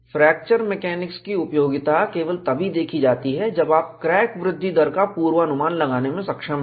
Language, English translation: Hindi, The usefulness of fracture mechanics is seen, only when you are able to predict crack growth rate